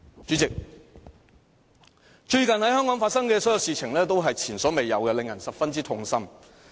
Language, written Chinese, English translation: Cantonese, 主席，最近在香港發生的所有事情，都是前所未有的，令人十分痛心。, President all the recent happenings in Hong Kong are unprecedented and saddening